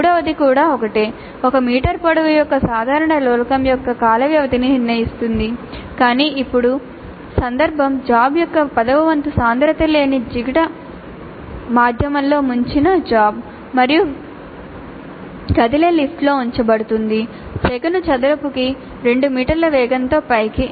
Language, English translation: Telugu, The third one is also same determine the time period of a simple pendulum of length 1 meter, but now the context is the bob dipped in a non viscous medium of density one tenth of the bob and is placed in lift which is moving upwards with an acceleration of 2 meters per second square